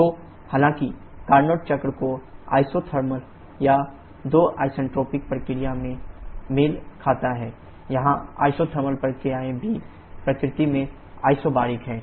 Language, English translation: Hindi, So, though the Carnot cycle corresponds to two isothermal and two isentropic processes, here the isothermal processes are also isobaric in nature